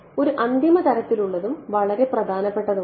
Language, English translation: Malayalam, One final sort of and very important take is